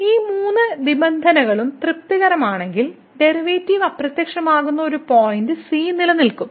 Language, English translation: Malayalam, So, if these three conditions are satisfied then there will exist a point where the derivative will vanish